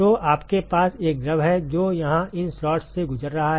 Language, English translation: Hindi, So, you have one fluid which is going through these slots here